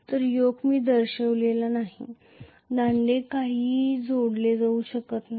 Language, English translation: Marathi, Yoke I have not shown the poles cannot be attached to nothing